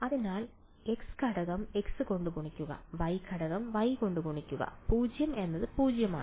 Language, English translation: Malayalam, So, the x component multiplies by the x, the y component multiplies by the y and the 0 is 0